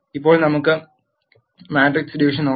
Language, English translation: Malayalam, Now, let us look at matrix division